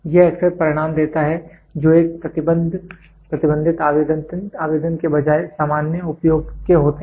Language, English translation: Hindi, This often gives result that are of general use rather than a restricted application